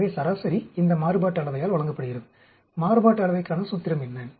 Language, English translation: Tamil, So, the mean is given by this variance, what is the formula for variance